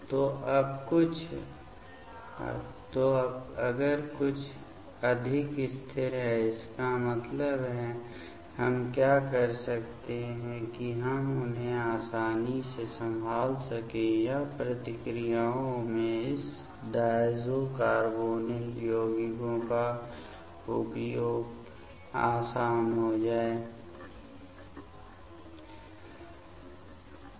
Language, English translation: Hindi, So, now, if something is more stable; that means, what we can do that we can easily handle them or the use of this diazo carbonyl compounds in the reactions will be easier ok